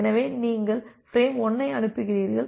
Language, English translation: Tamil, So, then you send the frame 1